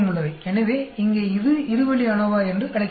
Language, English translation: Tamil, So, here this is called a two way ANOVA